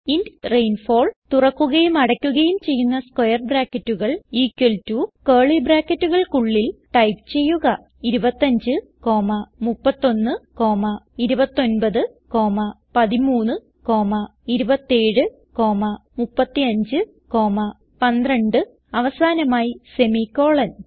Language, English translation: Malayalam, So Inside main function, type int rainfall open and close brackets equal to within curly brackets type 25, 31, 29, 13, 27, 35, 12 and finally a semicolon